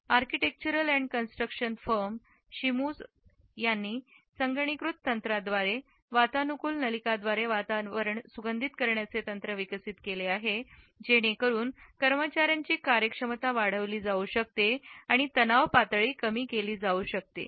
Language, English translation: Marathi, The architectural and construction firm Shimizu has developed computerized techniques to deliver scents through air conditioning ducts, so that the efficiency of the employees can be enhanced and the stress level can be reduced